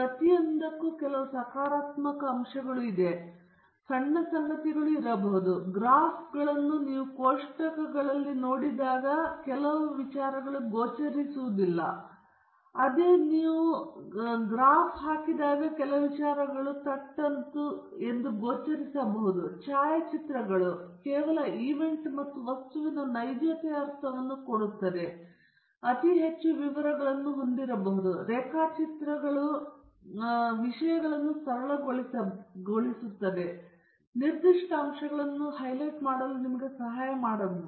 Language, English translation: Kannada, And therefore, you should be… and each of them has certain positive aspects to it and may be certain short comings; graphs show certain trends which are not visible when you see tables; photographs give you a sense of realism of some event or an object, but they may have too many details which can be distracting; drawings may simplify things and may help you highlight specific aspects